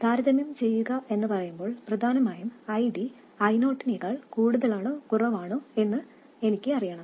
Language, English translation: Malayalam, When we say compare, essentially I want to know whether ID is more than I 0 or less than I 0